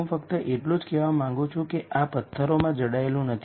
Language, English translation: Gujarati, I just want to mention that this is not set in stone